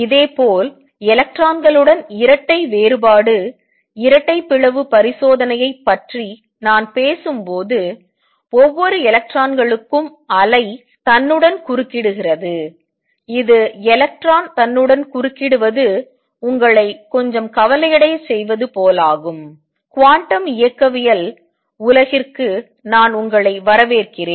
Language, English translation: Tamil, Similarly when I talk about double diffraction double slit experiment with electrons each electrons wave interferes with itself, it is as if electron interfering with itself that makes you little uneasy, only thing I can say is welcome to the world of quantum mechanics this is how things work out